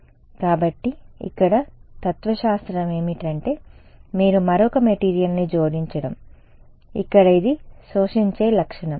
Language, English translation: Telugu, So, here the philosophy is that you add another material over here, which has an absorbing property ok